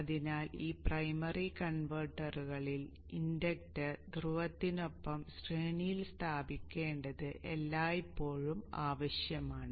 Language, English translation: Malayalam, So in this primary converters it is always required that the inductor is placed in series with the pole